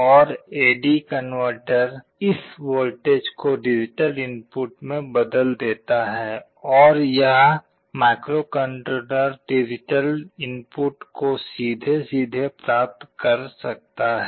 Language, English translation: Hindi, And an A/D converter will convert this voltage into a digital input and this microcontroller can read the digital input directly